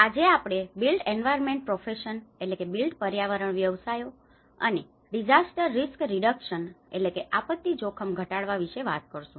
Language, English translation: Gujarati, Today, we are going to talk about the built environment professions and disaster risk reduction and response